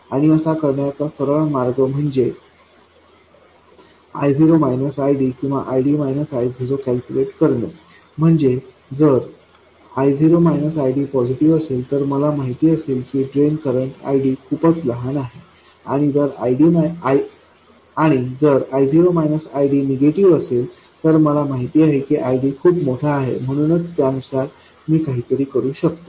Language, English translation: Marathi, So, the sign of I0 minus ID if I0 minus ID is positive I know that my drain current ID is too small and if I0 minus ID is negative I know that ID is too large